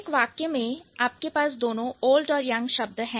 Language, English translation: Hindi, So, when you say in one sentence you have used both old and young